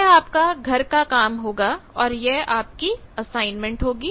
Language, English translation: Hindi, And this will be the homework, so your assignment will be this